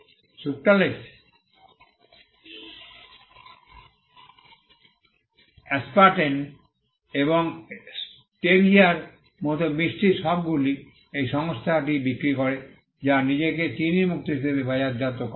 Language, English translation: Bengali, But this trademark is used for sweetness, and sweetness like sucralose, aspartame and stevia are all sold by this company which markets itself as sugar free